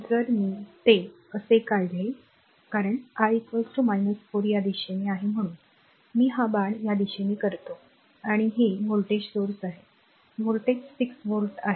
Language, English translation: Marathi, If I draw it like this the, because I is equal to minus 4, in this direction so, I making this arrow this direction and this is your voltage source, voltage is 6 volt